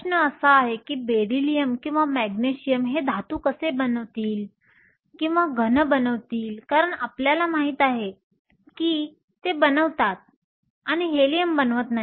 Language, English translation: Marathi, The question is how will Beryllium or Magnesium form metals or form solid because we know they do and Helium does not